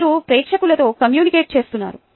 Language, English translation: Telugu, you are communicating with the audience